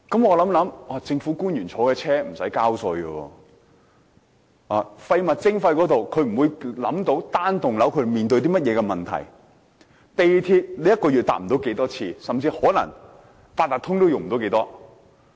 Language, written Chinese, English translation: Cantonese, 我想想，政府官員坐的汽車不用交稅；廢物徵費方面，他們想象不到單幢大廈所面對甚麼問題；他們一個月不會乘搭太多次港鐵，甚至可能也不會多用八達通。, Government officials are not required to pay taxes for the vehicles they are using . When government officials talk about waste charging what single - block building tenants are facing is simply unimaginable to them . They only take MTR several times a month and they even seldom use the Octopus Card